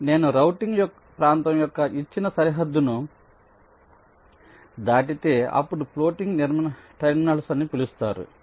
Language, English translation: Telugu, it says that if a net is crossing the given boundary of a routing region, then there can be something called floating terminals